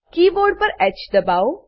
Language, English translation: Gujarati, Press H on the keyboard